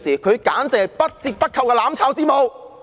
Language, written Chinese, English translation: Cantonese, 她簡直是不折不扣的"攬炒之母"。, She is virtually the out - and - out mother of mutual destruction